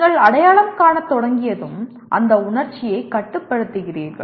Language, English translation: Tamil, Once you start recognizing and then you control that emotion